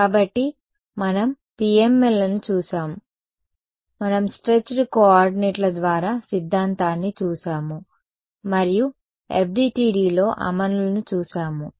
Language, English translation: Telugu, So, we looked at PMLs, we looked at the theory via stretched coordinates and then we looked at the implementation in FDTD